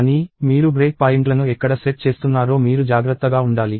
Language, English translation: Telugu, But, you have to be careful about where you are setting the break points